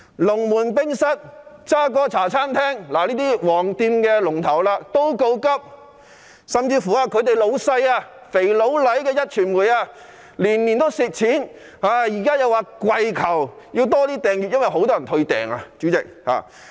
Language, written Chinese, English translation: Cantonese, 龍門冰室及渣哥茶餐廳等"黃店"龍頭也告急，連他們的老闆"肥佬黎"的壹傳媒也是年年虧蝕，現在更要跪求增加訂閱，因為有很多人退訂。, Yellow shops such as Lung Mun Café and Café de JarGor which have been playing the leading role are also in a desperate state . Worse still the Next Digital owned by Jimmy LAI is also suffering losses year after year . He is now begging for new subscribers as many people have withdrawn subscription